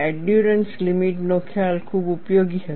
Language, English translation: Gujarati, The concept of endurance limit was quite useful